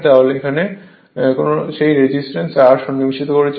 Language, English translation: Bengali, That because, we have inserted that resistance R